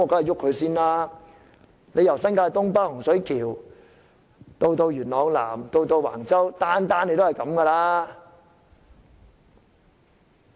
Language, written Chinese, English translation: Cantonese, 由新界東北洪水橋到元朗南和橫洲，也是用同樣方法處理。, The same approach is also adopted in connection with the developments in Northeast New Territories Hung Shui Kiu Yuen Long South and Wang Chau